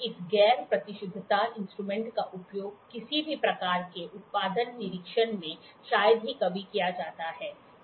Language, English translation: Hindi, This non precision instrument is rarely used in any kind of production inspection